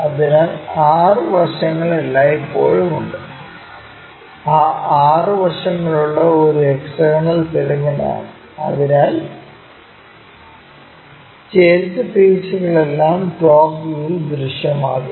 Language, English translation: Malayalam, So, 6 sides are always be there, those 6 sides is a hexagonal pyramid, so all the inclined faces will be visible in the top view